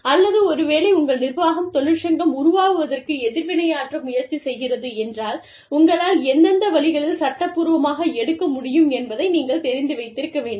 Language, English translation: Tamil, Or, if your organization tries to react, to the formation of a union, you must know, what are the steps, that you can take, legally